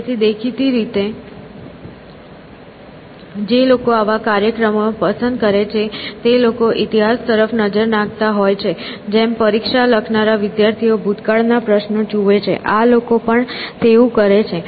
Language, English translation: Gujarati, So, obviously, people who like such programs look at the history just like students who write exams they look at history of past questions, even such people essentially